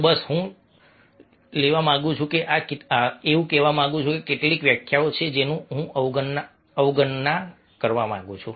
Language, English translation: Gujarati, so just i will like to take these are some of the definitions which i would like to skip